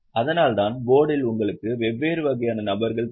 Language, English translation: Tamil, That's why on the board you need different type of people